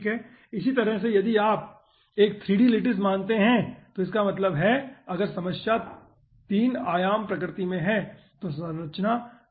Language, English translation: Hindi, okay, in a similar fashion, in a 3 dimensional lattice, if you consider that means if the problem is in 3 dimensional nature will be having d3q9 in structure